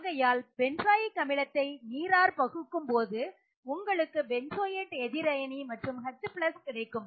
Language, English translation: Tamil, So benzoic acid when dissociates in water you get the benzoate anion and H+